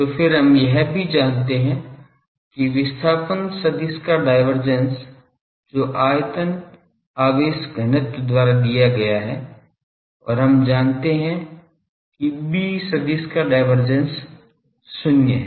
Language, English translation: Hindi, So, then we also know that the divergence of the displacement vector that is given by the volume charge density and we know that divergence of the B vector that is 0